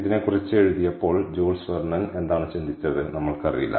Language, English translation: Malayalam, and what jules verne thought about, ah, when he wrote about this, we dont know